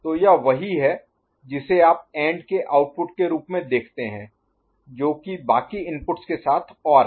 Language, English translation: Hindi, So, that is what you see as the AND output which is ORd with rest of the inputs ok